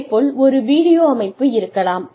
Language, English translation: Tamil, Then there could be a video component